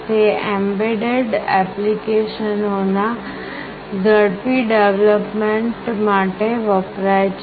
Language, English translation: Gujarati, It is used for fast development of embedded applications